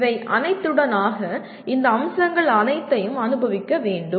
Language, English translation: Tamil, Through all that, all these aspects should be experienced